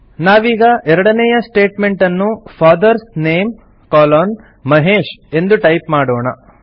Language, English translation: Kannada, So we type the second statement in the resume as FATHERS NAME colon MAHESH